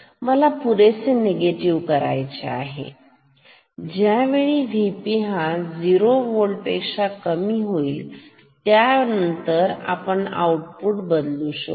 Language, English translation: Marathi, I have to make it sufficiently negative so that V P is slightly lower than 0 volt and then we will then the output will change ok